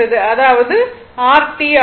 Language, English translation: Tamil, So, it is T by 4